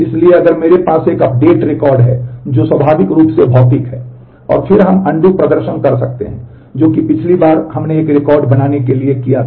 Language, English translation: Hindi, So, if I have an update record which is naturally physical, and then we can perform the undo which is as we did last time the creating a redo only record